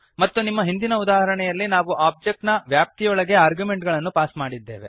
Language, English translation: Kannada, And in our previous example we have passed the arguments within the Object